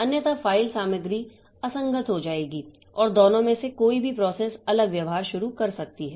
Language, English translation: Hindi, So, otherwise the file content will become inconsistent and either of the two processes may start misbehaving